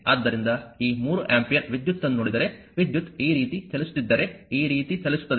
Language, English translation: Kannada, So, if you look into that this 3 ampere current actually if current is moving like this moving like this